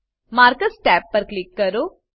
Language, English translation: Gujarati, Click on Markers tab